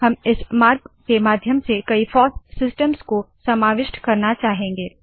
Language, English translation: Hindi, We wish to cover many FOSS systems through this route